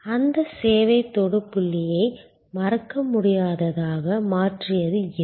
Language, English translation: Tamil, What made that service touch point memorable